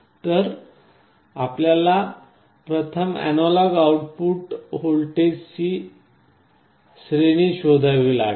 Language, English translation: Marathi, So, you will have to first find out the range of analog output voltage in the expected environment